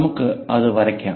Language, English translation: Malayalam, Let us draw that